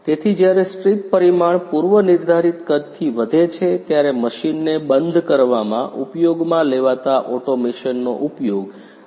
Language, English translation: Gujarati, So here is the automation used in stopping the machine when the strip parameter increases from pre defined size